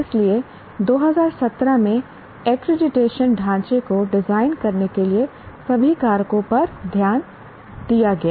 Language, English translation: Hindi, So, all factors were taken into consideration in designing the accreditation framework in 2017